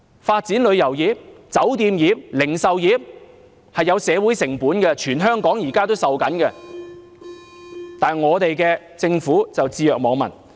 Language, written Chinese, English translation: Cantonese, 發展旅遊業、酒店業、零售業是有社會成本的，現在全香港正在承受，但政府卻置若罔聞。, There are social costs in developing tourism hotel and retail industries which the entire Hong Kong is now paying but the Government has turned a blind eye to the situation